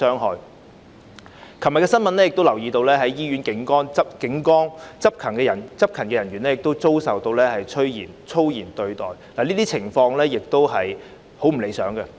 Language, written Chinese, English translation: Cantonese, 我亦留意到昨天有新聞報道指在醫院警崗執勤的警員遭受粗言對待，這些情況亦非常不理想。, I also noticed a news report yesterday about police officers performing their duties at hospital posts being subjected to verbal abuse which is also undesirable